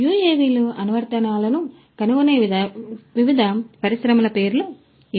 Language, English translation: Telugu, These are some of the names of different industries where UAVs find applications